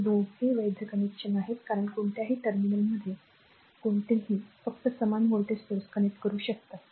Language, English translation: Marathi, This two are valid connection because any across any terminal, you can only connect the equal voltage source